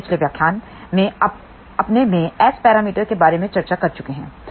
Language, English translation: Hindi, We have already discussed about S parameters in our previous lecture